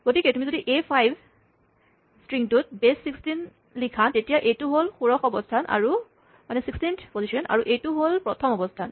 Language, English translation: Assamese, So, if you write ÒA5Ó in base 16, then, this is the sixteenth position and this is the ones position